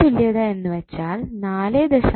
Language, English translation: Malayalam, Norton's equivalent would be 4